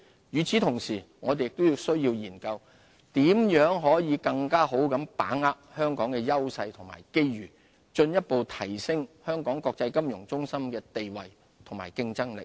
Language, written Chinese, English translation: Cantonese, 與此同時，我們亦需研究如何更好把握香港的優勢和機遇，進一步提升香港國際金融中心的地位和競爭力。, In the meantime we need to examine ways to make good use of our strengths and grasp the opportunities to elevate the position and competitiveness of Hong Kong as an international financial centre